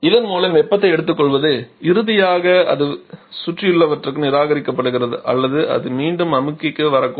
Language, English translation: Tamil, And thereby picking up the heat and finally it is either rejected to the surrounding or it may come back to the compressor as well